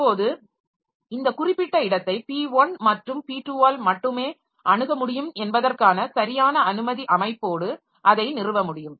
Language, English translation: Tamil, Now, if that can be established and with a proper permission setting that this particular location is accessible by P1 and P2 only